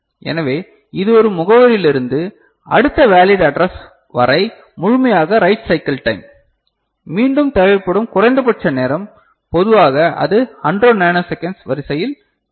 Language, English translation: Tamil, So, the whole of it from one address to next valid address that is the write cycle time, the minimum time that is required again it is of the order of that 100 nanosecond typically